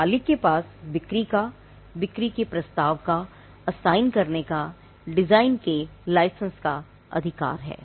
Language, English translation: Hindi, The owner has the right to sell, offer for sale, assign and licence the design